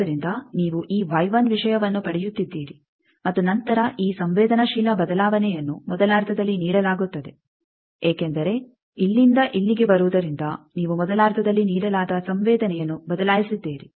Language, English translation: Kannada, So, you are getting this Y 1 thing and then this change of susceptance is given by the first half because from coming here to here you have changed the susceptance that was given by the first half